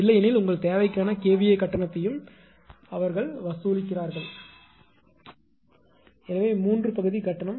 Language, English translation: Tamil, Otherwise your for your kVA demand charge also they put they charge it; so three part tariff right